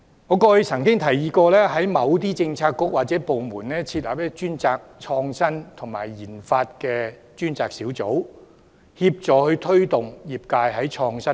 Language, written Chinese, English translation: Cantonese, 我曾提議在某些政策局或部門設立負責創新和研發的專責小組，協助業界推動創新。, I have proposed to set up task forces responsible for innovation research and development in certain bureaux or departments with a view to facilitating and promoting innovation in the sectors